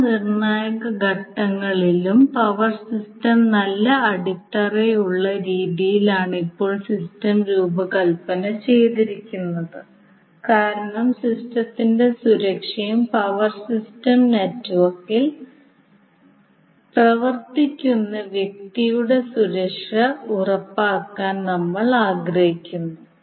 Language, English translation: Malayalam, Now power system is designed in the way that the system is well grounded at all critical points why because we want to make ensure the safety of the system as well as the person who work on the power system network